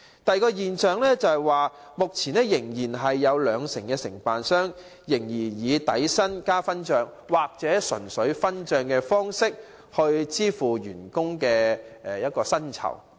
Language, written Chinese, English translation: Cantonese, 第二個問題是，目前有兩成的營辦商仍然以底薪加分帳，或純粹分帳的方式來支付司機的薪酬。, Regarding the second problem currently 20 % of the operators still pay the remunerations of their drivers on the basis of basic salary plus revenue sharing or solely revenue sharing